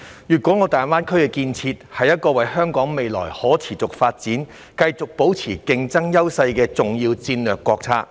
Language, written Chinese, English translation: Cantonese, 粵港澳大灣區的建設，是一個為香港未來可持續發展、繼續保持競爭優勢的重要戰略國策。, The development of the Guangdong - Hong Kong - Macao Greater Bay Area GBA is an important strategic national policy for Hong Kongs sustainable development and continuous maintenance of its competitive edge in the future